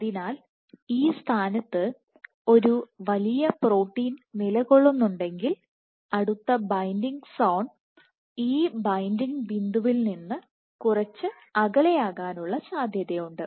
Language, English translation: Malayalam, So, if we have a big protein sticking to this point there is a likelihood that the next binding zone will be some distance away from this binding point